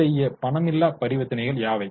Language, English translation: Tamil, What are such non cash transactions